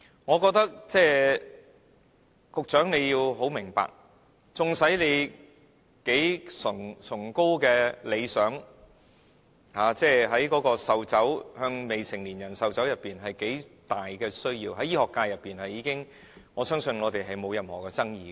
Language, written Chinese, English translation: Cantonese, 我認為局長要明白，縱使他的理想有多崇高，禁止向未成年人士售酒方面有多重要，在醫學界內，我相信並無任何爭議。, I consider that the Secretary should understand that no matter how noble her ideal is no matter how important the ban on the sale of liquor to minors is I believe it will not cause any controversy within the medical sector